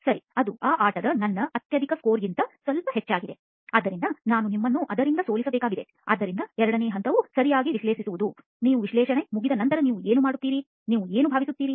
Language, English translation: Kannada, Alright, that is a bit higher than my highest score on that game, so I am going to have to beat you on that right, so the second phase is to analyse alright, what you think you do after you finish analysing